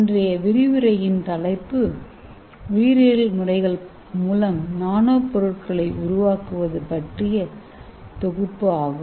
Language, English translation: Tamil, The title of this today’s lecture is synthesis of nanomaterials by biological methods